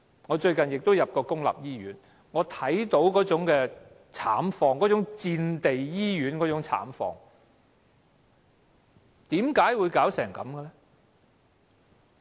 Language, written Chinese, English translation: Cantonese, 我最近也曾進入公立醫院，看到那種慘況，那種類似戰地醫院的慘況。, I was admitted to a public hospital lately and saw the plight there miserable conditions that resembled those in a wartime hospital